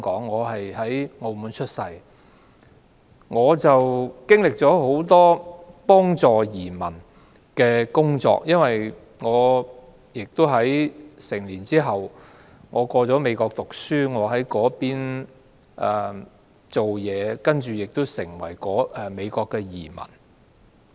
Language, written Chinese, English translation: Cantonese, 我曾擔任很多協助移民的工作，因為我成年後到美國升學，在那邊工作，亦成為美國的移民。, I took up many jobs in helping immigrants because I went on to study and work in the United States when I grew up